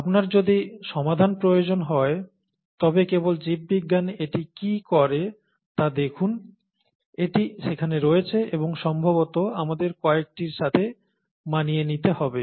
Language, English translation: Bengali, So if you need solutions, just look at how biology does it, and it is there and we probably need to adapt to some of those